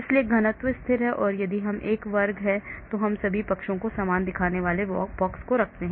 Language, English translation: Hindi, so the density is constant and if it is a square then we place similar looking boxes in all sides,